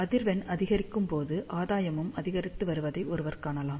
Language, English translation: Tamil, So, as frequency increases, gain increases